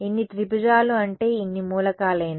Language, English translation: Telugu, As many triangles I mean as many elements